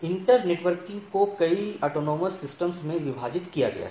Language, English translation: Hindi, The inter networking is divided into several autonomous systems